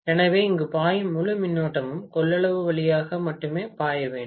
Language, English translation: Tamil, So, the entire current that is flowing here has to flow only through the capacitance